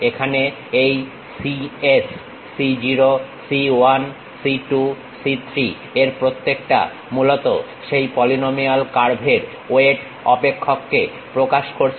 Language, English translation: Bengali, Here each of this cs c0, c 1, c 2, c 3 basically represents the weight functions of that polynomial curve